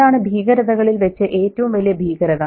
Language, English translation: Malayalam, That's the horror of horrors